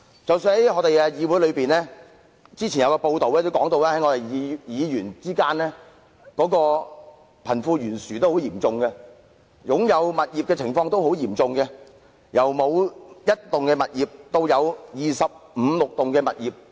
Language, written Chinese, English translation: Cantonese, 即使在議會當中，據之前的報道，議員之間的貧富懸殊也很嚴重，是否擁有物業的情況也相當懸殊，有議員沒有擁有任何物業，也有議員擁有二十五六個物業。, According to press reports earlier even in the case of the legislature the wealth gap among Members is very wide indeed; the gap among Members in terms of property ownership is particularly serious . While some Members have no property whatsoever others have 25 or 26 properties